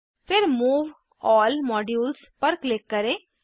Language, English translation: Hindi, Then click on Move All Modules